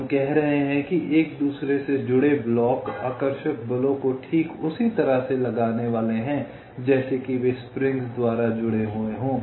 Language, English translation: Hindi, so we are saying that the blocks connected to each other are suppose to exert attractive forces, just like as if they are connected by springs